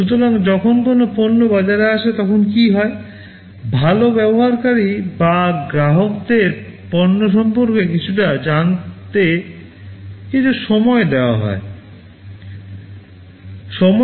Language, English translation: Bengali, So, what happens when a product comes to the market, well the users or the customers need some time to learn about the product